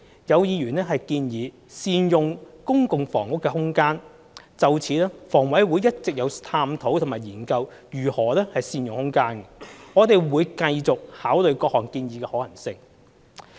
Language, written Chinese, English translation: Cantonese, 有議員建議善用公共房屋的空間，就此香港房屋委員會一直有探討及研究如何善用空間，我們會繼續考慮各項建議的可行性。, Some Members suggested making optimal use of the spaces in public housing . In this connection the Hong Kong Housing Authority HA has been exploring and studying how to make optimal use of space and we will continue to consider the feasibility of various proposals